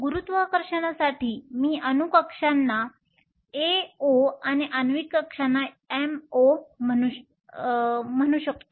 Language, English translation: Marathi, For sake of gravity I will call atomic orbitals as AO and molecular orbitals as MO